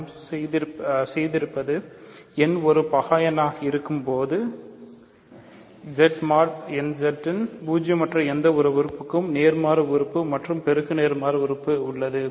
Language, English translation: Tamil, So, what we have done is produced an inverse and multiplicative inverse for any non zero element of Z mod nZ when n is a prime number